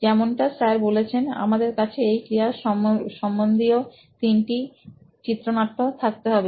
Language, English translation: Bengali, So now like sir mentioned we have to have three different scenarios related to that activity